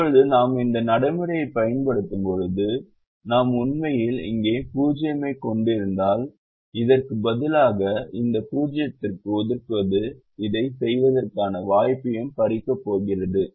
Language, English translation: Tamil, now, when we apply this procedure and we see if we actually had a zero here instead of this one, allocating into that zero is going to take away the chance of doing this and doing this